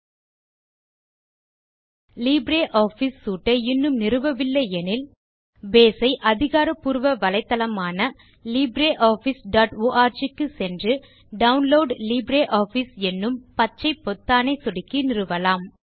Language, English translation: Tamil, If you have not installed LibreOffice Suite, you can install Base by visiting the official website and clicking on the green area that says Download LibreOffice